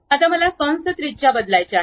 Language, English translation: Marathi, Now, I want to really change the arc radius